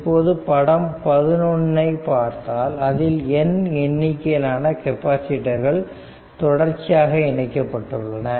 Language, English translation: Tamil, So, figure 11 shows n number of capacitors are connected in series